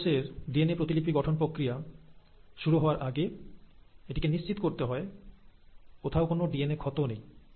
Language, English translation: Bengali, And, before the cell actually commits and starts doing the process of DNA replication, it has to make sure that there is no DNA damage whatsoever